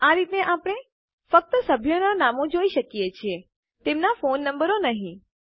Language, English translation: Gujarati, In this way, we can only see the names of the members and not their phone numbers